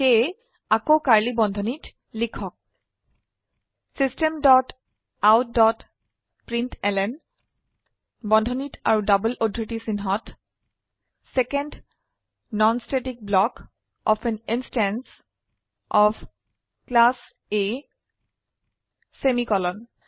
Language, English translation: Assamese, System dot out dot println within brackets and double quotes Second Non static block of an instance of Class A semicolon